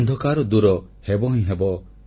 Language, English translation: Odia, The darkness shall be dispelled